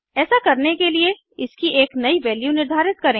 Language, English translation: Hindi, To do so, just assign a new value to it